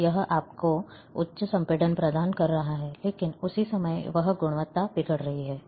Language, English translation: Hindi, So, it is providing you high compression, but the same time it is deteriorating the quality